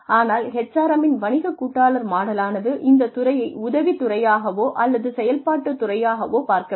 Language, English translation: Tamil, But, business partner model of HRM, sees this department as, not really as an assistive department or activity